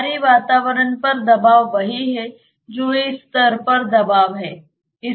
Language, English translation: Hindi, The pressure at the outside atmosphere is same as what is the pressure at this level, right